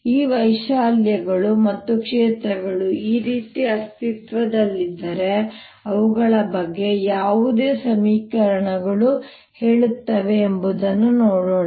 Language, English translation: Kannada, let us see what equations tell us about these amplitudes and the fields, if they exist, like this